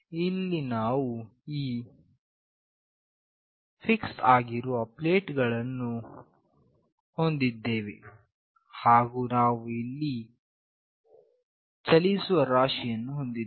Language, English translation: Kannada, Here we have these fixed plates, and here we have the moving mass